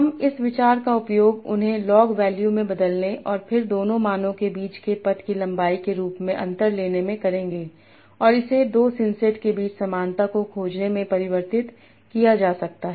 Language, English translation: Hindi, I'll use this idea to convert them into log values and then taking the difference between two values as the path length and that can be converted to finding the similarity between two syncy